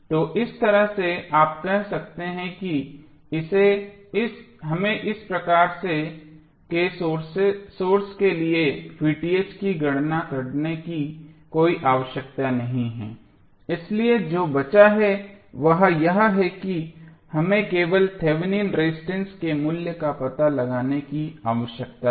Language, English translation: Hindi, So in that way you can simply say that we do not have any we need not to calculate V Th for this type of source, so what is left is that we need to find out the value of only Thevenin resistance